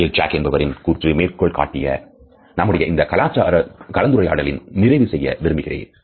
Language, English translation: Tamil, I would like to sum up the discussion of facial expressions by quoting again from Rachel Jack